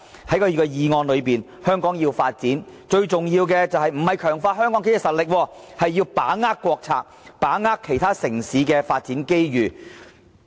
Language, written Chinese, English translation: Cantonese, 他的議案提到，如果香港要發展，最重要的不是強化香港的經濟實力，而是要把握國策和其他城市的發展機遇。, His motion suggests that if Hong Kong is to achieve any progress it must most importantly grasp the opportunities presented by state policies and the development of other cities